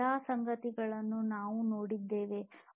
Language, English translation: Kannada, All of these things we have gone through